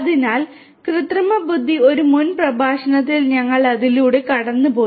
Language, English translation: Malayalam, So, artificial intelligence, we have gone through it in a previous lecture